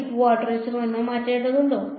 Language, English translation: Malayalam, Do I need to change the quadrature rule